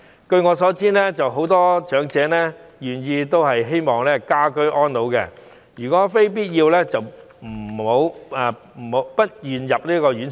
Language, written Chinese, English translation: Cantonese, 據我所知，很多長者都希望可以居家安老，如非必要也不願意入住院舍。, As far as I know many elderly persons prefer ageing in the community to staying in residential care homes unless it is really necessary